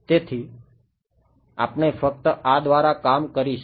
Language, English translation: Gujarati, So, we will just work through this